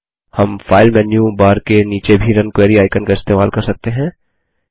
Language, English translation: Hindi, We can also use the Run Query icon below the file menu bar